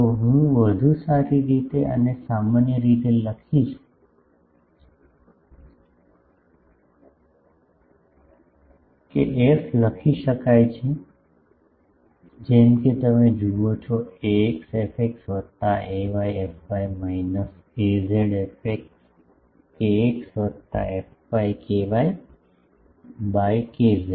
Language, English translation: Gujarati, So, I will write better that in general that f can be written as you see ax fx plus ay fy minus az fx kx plus fy ky by kz